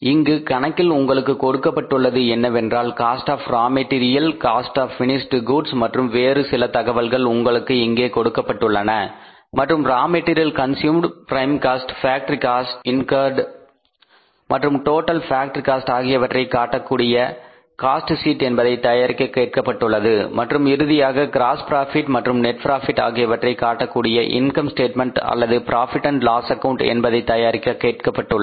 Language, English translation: Tamil, So here you are given the problem like you are given the cost of raw material, WIP cost of finished goods and then you are given some other information here and you are asked finally prepare cost sheet showing material consumed prime cost, factory cost incurred and total factory cost and finally prepare the income statement it means the profit and loss account showing gross profit and net profit